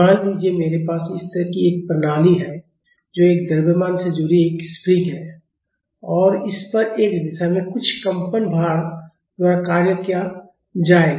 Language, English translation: Hindi, Suppose, I have a system like this a spring connected to a mass and this will be acted upon by some vibrating load say in x direction